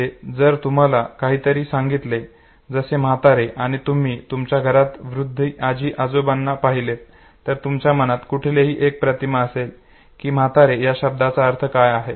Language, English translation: Marathi, So if you are told something like say, old and if you have seen your know elderly grandparents in your house you will have somewhere an image of what is, what is meant by the word old